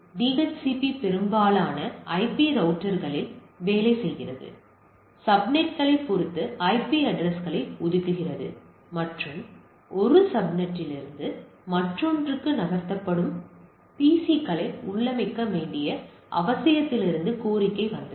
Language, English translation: Tamil, DHCP works across most IP routers, allocates IP address depending on the subnets and the request came from no need of configure of a PCs that is move from one subnet to another